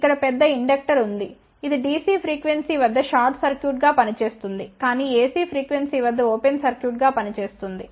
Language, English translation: Telugu, There is a large inductor over here, which acts as a short circuit at dc frequency, but acts as an open circuit at A C frequency